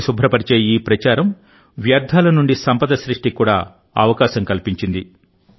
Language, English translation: Telugu, This campaign of cleaning the river has also made an opportunity for wealth creation from waste